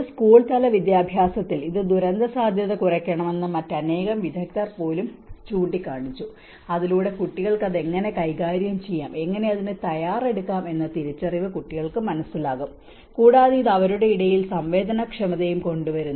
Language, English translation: Malayalam, And even many other experts have pointed out that this has to bring that a disaster risk reduction at a school level education so that children will understand the realization of how they can handle it, how they can prepare for it, and it also brings sensitivity among the kids